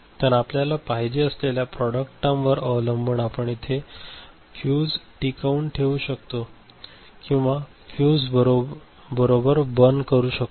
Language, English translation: Marathi, So, depending on the kind of product term you want to generate ok so, you will retain the fuse or you will burn the fuse right